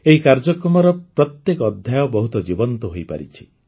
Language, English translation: Odia, Every episode of this program is full of life